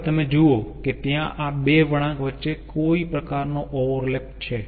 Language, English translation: Gujarati, now you see, there is some sort of overlap between these two curves